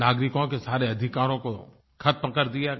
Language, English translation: Hindi, All the rights of the citizens were suspended